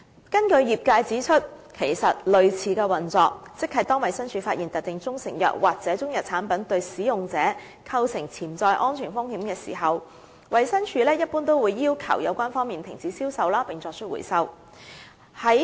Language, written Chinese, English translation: Cantonese, 根據業界指出，其實類似的運作，即當衞生署發現特定中成藥或中藥產品對使用者構成潛在安全風險時，一般會要求有關方面停止銷售並作出回收。, According to the industry when DH finds that a specific proprietary Chinese medicine or Chinese medicine product poses potential risks to users usually it will request the parties concerned to stop its sale and carry out a recall